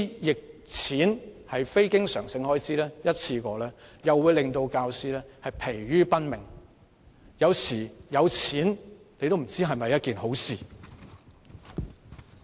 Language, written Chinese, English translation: Cantonese, 這些非經常性開支和一次過撥款會令教師疲於奔命，所以有時候也不知道有錢是否一件好事。, Such expenditure and one - off grants will weigh down on teachers so sometimes we just cannot tell whether monetary abundance is a blessing